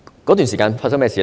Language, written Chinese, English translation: Cantonese, 當時發生甚麼事呢？, What happened back then?